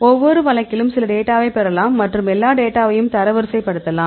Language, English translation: Tamil, So, each case you can get some data and you can rank all the data